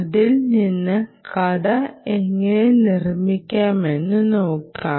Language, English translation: Malayalam, ok, and let us see how to build the story from here